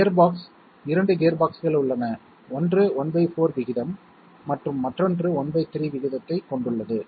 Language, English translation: Tamil, Gearbox, there are 2 gearboxes one is having ratio of one fourth and another is having ratio of one third